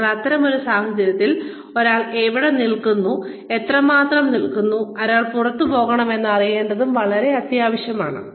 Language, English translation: Malayalam, So, in such a situation, it is very essential to know, where one stands, and how much, and when one should move out